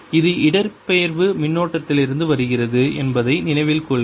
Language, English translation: Tamil, remember, this is coming from the displacement current